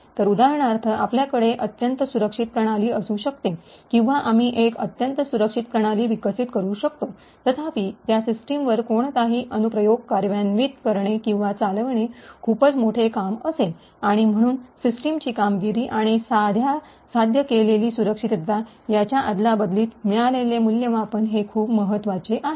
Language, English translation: Marathi, So, for example, we could have highly secure system, or we could develop a highly secure system, however, to execute or run any application on that system would be a huge overhead and therefore it is very important to evaluate the trade off obtain between performance of the system and the security achieved